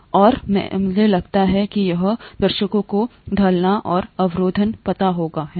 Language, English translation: Hindi, And I think this audience would know the slope and intercept, right